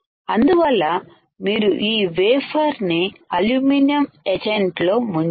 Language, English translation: Telugu, So, you have to dip this wafer in a aluminium etchant